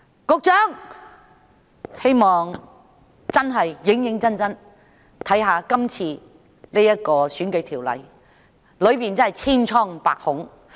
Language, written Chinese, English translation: Cantonese, 我希望局長會認真審視現時的選舉法例，當中真是千瘡百孔。, I hope the Secretary will seriously examine the existing electoral legislation which is indeed punctuated by flaws